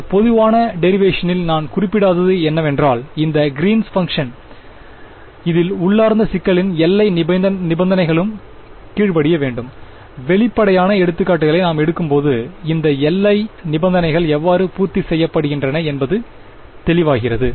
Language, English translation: Tamil, What I have not mentioned in this very general derivation is that this Greens function should also obey the boundary conditions of the problem that is implicit in this; when we take the explicit examples it will become clear, how these boundary conditions are being satisfied